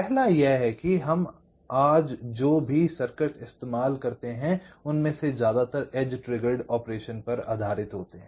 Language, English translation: Hindi, first is that most of the circuits that we use today there are based on edge trigged operation